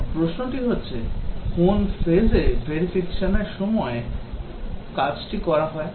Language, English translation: Bengali, And the question is that, in which phases verification activities are undertaken